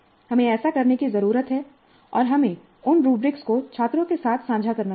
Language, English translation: Hindi, We need to do that and we must share those rubrics upfront with students